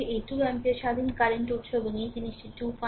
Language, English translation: Bengali, We have 2 your this 2 ampere independent current source and this thing